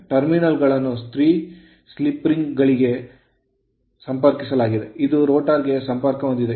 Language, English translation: Kannada, The terminals are connected to 3 sleeping which turn with the rotor